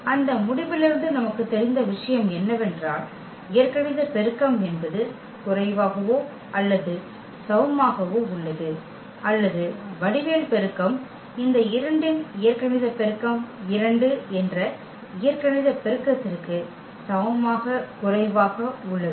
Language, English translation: Tamil, What we know from that result that algebraic multiplicity is less than or equal to the, or the geometric multiplicity is less than equal to the algebraic multiplicity that the algebraic multiplicity of this 2 was 2